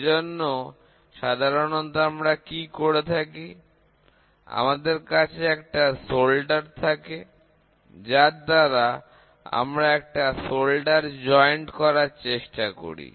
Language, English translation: Bengali, So, generally, what we do is, we try to have a solder which is there, then, we try to have a solder joint here